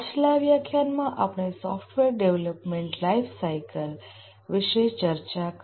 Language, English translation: Gujarati, In the last lecture we discussed about the software development lifecycle